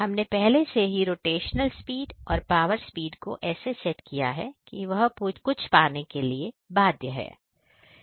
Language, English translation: Hindi, So, here initially we have set the rotational speed and power speed in such a way, that they are bound to get some